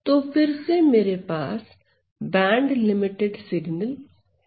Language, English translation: Hindi, So, so then what is the band limited signal